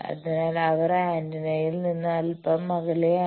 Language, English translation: Malayalam, So, they are a bit away from the antenna